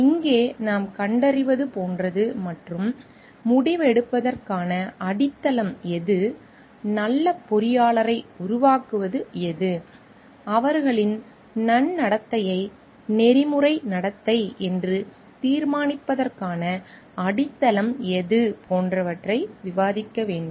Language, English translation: Tamil, What we find over here is like and what is the ground for deciding like we have to discuss like what makes the good engineer and what are the ground for deciding their good conduct as ethical conduct